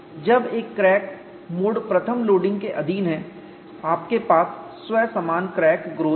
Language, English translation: Hindi, When a crack is subjected to mode one loading, you have self similar crack growth